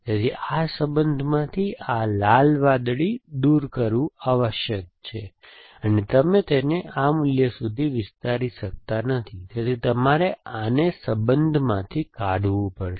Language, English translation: Gujarati, So, this red blue must be removed from this relation you choose blue for this and red for this and you cannot extended to a value, so you must prune this from the relation